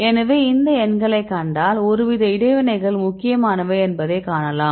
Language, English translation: Tamil, So, interestingly if you see these numbers you can find some sort of interactions are important